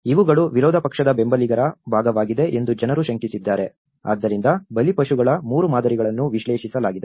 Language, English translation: Kannada, People have suspected that these has been part of the opposition supporters, so that is where 3 patterns of victims have been analyzed